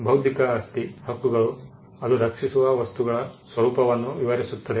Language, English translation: Kannada, Intellectual property rights are descriptive of the character of the things that it protects